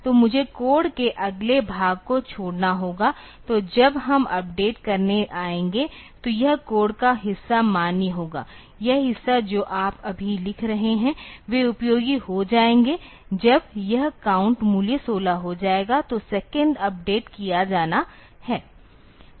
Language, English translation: Hindi, So, I have to skip over the next part of the code; so this part of the code will be valid when we will be coming to updating; this part whatever you are writing now so, they will become useful when this count value has become 16; so, that the second has to be updated